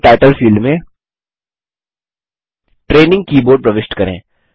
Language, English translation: Hindi, In the Keyboard Title field, enter Training Keyboard